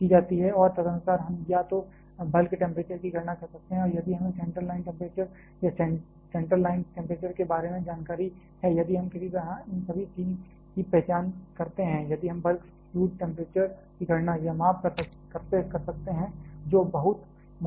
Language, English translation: Hindi, And accordingly, we can calculate either the bulk temperature if we have a knowledge about the center line temperature or the central line temperature if we somehow identify all this 3, if we a can calculate or measure the bulk fluid temperature which is not very difficult